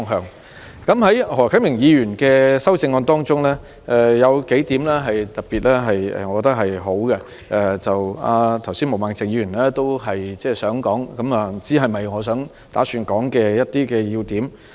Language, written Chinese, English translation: Cantonese, 我認為何啟明議員的修正案中有數點是特別好的，毛孟靜議員剛才也想指出，但不知道是否我打算提出的要點。, I think that there are some remarkable points in Mr HO Kai - mings amendment . Ms Claudia MO also wanted to raise some points just now but I am not sure if they are the key points that I intend to make